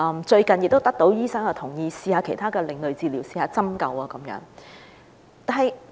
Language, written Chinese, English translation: Cantonese, 最近，醫生也同意讓其女兒嘗試其他另類治療如針灸等。, Recently the doctor also agreed that her daughter could try alternative therapy like acupuncture